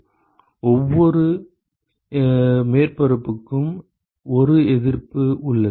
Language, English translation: Tamil, So, you have 1 resistance for every surface